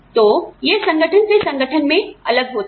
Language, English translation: Hindi, So, and again, it varies from organization to organization